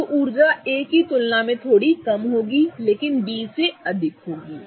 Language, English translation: Hindi, So, the energy will be a little lower than A but more than B